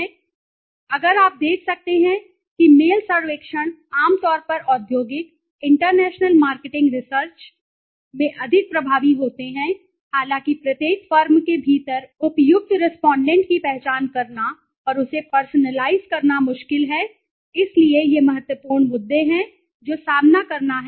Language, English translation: Hindi, if the last one if you can see the mail surveys are typically more effective in industrial, international marketing research, international marketing research although it is difficult to identify the appropriate respondent within the each firm and to personalize that is, so these are the critical issues that one as to face